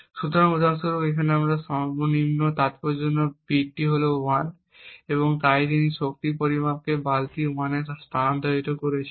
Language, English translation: Bengali, So, for example over here the least significant bit is 1 and therefore he would move this power measurement into the bucket 1